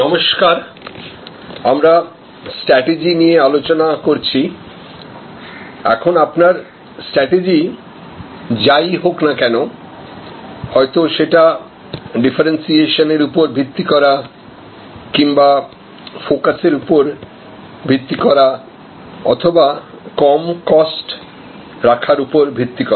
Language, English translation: Bengali, Hello, we were discussing about strategy, now whatever maybe your strategy, whether it is differentiation based or it is focus based or low cost based